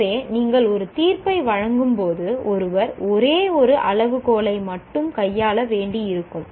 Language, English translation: Tamil, So, one can have, when you are making a judgment, one may have to deal with only one criteria